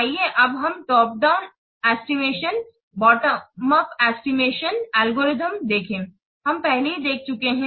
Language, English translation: Hindi, Bottom of approach, bottom up estimation algorithm we have already seen